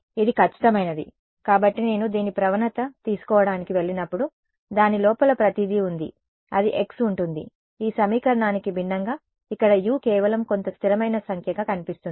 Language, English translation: Telugu, Its exact, so when I go to take the gradient of this, it has everything inside it there is a x where it should be unlike this equation where U appears to be just some number some constant right